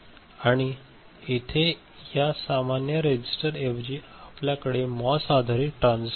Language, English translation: Marathi, And here instead of normal resistor, you can have MOS based transistor, which is MOS based you know